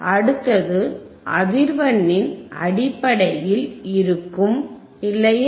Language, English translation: Tamil, The next would be based on the frequency, right